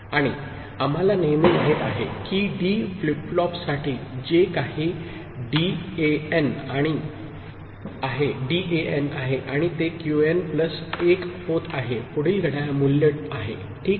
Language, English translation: Marathi, And always we know for D flipflop whatever is the Dn and that is becoming Qn plus 1 – next clock value, ok